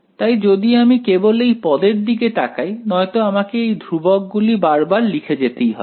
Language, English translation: Bengali, So this if I just let us just look at this term over here ok, otherwise I will have to keep writing the constants each time